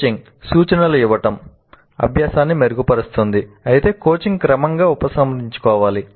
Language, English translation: Telugu, And coaching providing hints can improve learning but coaching should be gradually withdrawn